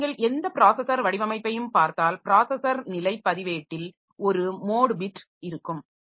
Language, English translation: Tamil, So, if you look into any processor design, so there will be in the processor status register, so there will be a mode bit